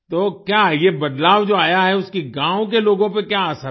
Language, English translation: Hindi, So what is the effect of this change on the people of the village